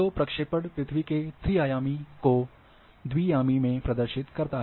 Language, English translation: Hindi, So, projection as a is a representation of the earth 3 d into a 2 d